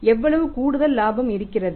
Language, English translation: Tamil, How much incremental profit is there